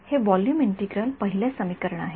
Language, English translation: Marathi, So, this is volume integral first equation well ok